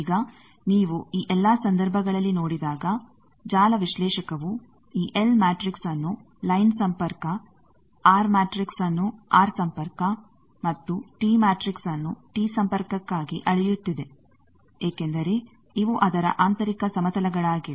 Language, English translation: Kannada, Now when you see in all this cases the network analyzer is measuring these L matrix for line connection, R matrix R connection and T matrix T connection it is measuring because these are its internal planes